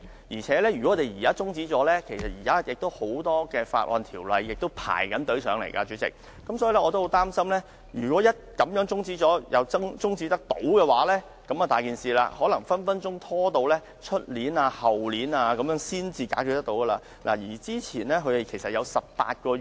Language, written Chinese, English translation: Cantonese, 而且，如果中止決議案，鑒於現時已有很多法案正輪候審議，主席，我十分擔心如果這樣中止討論，而中止待續議案又獲得通過，那問題可大了，這項《修訂令》可能隨時會拖至明年、後年才能解決。, Besides if the resolution is adjourned in view of the fact that many bills are awaiting scrutiny President I am afraid that if the adjournment motion is passed a big problem will arise because the Amendment Order may likely be stalled till next year or the year after next